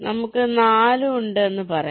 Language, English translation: Malayalam, let say we have, there are four